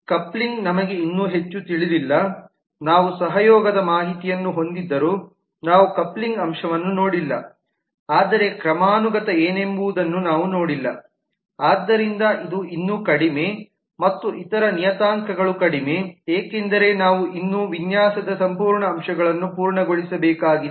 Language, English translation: Kannada, coupling we still do not know much, we have not seen the coupling aspect though we have the collaboration information, but we have not seen in terms of what the hierarchy could be so this is still low and the other parameters are low because we are still to complete the whole aspects of the design as yet